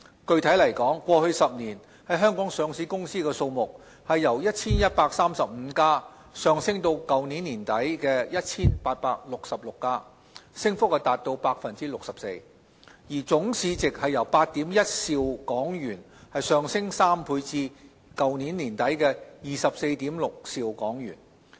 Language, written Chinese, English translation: Cantonese, 具體來說，過去10年，在香港上市的公司數目由 1,135 家上升至去年年底 1,866 家，升幅達 64%， 而總市值則由8兆 1,000 億港元上升3倍至去年年底24兆 6,000 億港元。, Specifically in the last decade or so the number of firms listed in Hong Kong has increased 64 % from 1 135 to 1 866 as of late last year . Their total market value has risen two times from 8.1 trillion to 24.6 trillion as of late last year